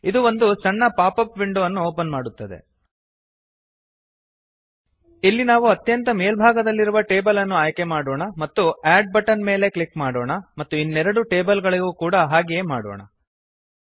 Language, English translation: Kannada, This opens a small pop up window, Here we will select the top most table and click on the add button, and repeat for the other two tables also